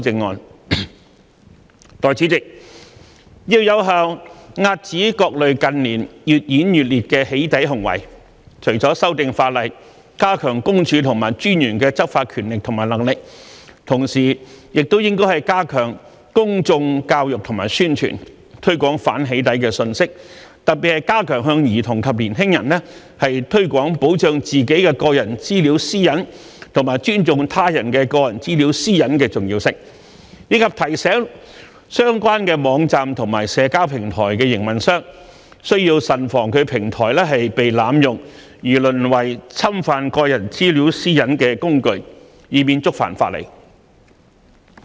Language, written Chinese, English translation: Cantonese, 代理主席，要有效遏止各類近年越演越烈的"起底"行為，除了修訂法例，加強私隱公署和私隱專員的執法權力和能力，同時也應加強公眾教育和宣傳，推廣反"起底"的信息，特別是加強向兒童及年輕人推廣保障自己的個人資料私隱和尊重他人的個人資料私隱的重要性，以及提醒相關網站和社交平台的營運商，需慎防其平台被濫用而淪為侵犯個人資料私隱的工具，以免觸犯法例。, Deputy President in order to effectively curb various doxxing acts which have become increasingly rampant in recent years the Government should strengthen public education and publicity to promote anti - doxxing messages in addition to making legislative amendments to enhance the law enforcement power and capability of PCPD and the Commissioner . In particular it should step up its efforts in promoting among children and young people the importance of protecting their personal data privacy and respecting that of the others . Also operators of relevant websites and social media platforms should be reminded that they should stay vigilant to prevent their platforms from being abused as a tool for infringing personal data privacy so as to avoid violation of the law